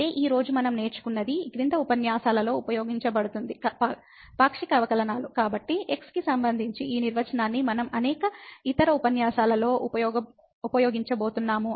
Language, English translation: Telugu, So, what we have learnt today which will be used in following lectures is the Partial Derivatives; so, it with respect to this definition we are going to use in many other lectures